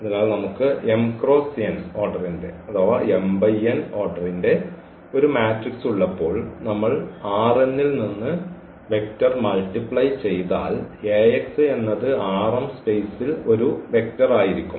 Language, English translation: Malayalam, So, when we have a matrix of m cross n order and if we multiply vector from R n, so, this Ax will be a vector in this R m space